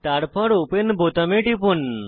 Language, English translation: Bengali, Then, click on the Open button